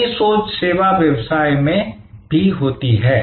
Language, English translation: Hindi, The same think happens in service business as well